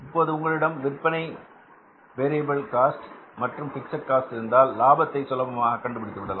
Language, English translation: Tamil, If you have the information about the sales variable and the fixed cost, you can easily find out the profit